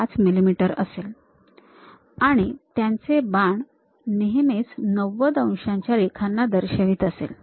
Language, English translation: Marathi, 5 mm; and the arrows always be representing 90 degrees line